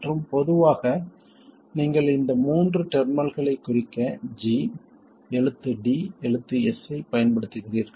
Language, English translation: Tamil, And typically you use the letter G, the letter D, the letter S to denote these three terminals